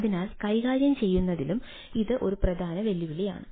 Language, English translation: Malayalam, so this is also a very major challenge in handling this